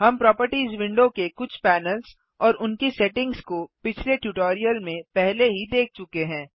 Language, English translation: Hindi, We have already seen the first few panels of the Properties window and their settings in the previous tutorial